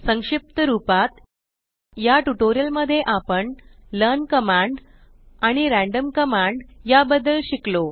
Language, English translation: Marathi, Lets summarize In this tutorial we have learnt about, learn command and random command